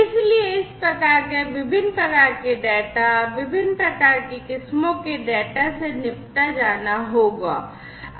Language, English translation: Hindi, So, this kind of variety of data having different forms, of having different types of varieties, will have to be dealt with